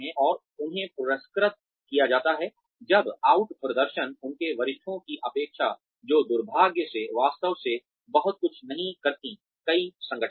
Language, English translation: Hindi, And, they are rewarded, when the out perform, the expectations of their superiors, which is unfortunately, not really done a lot, in many organizations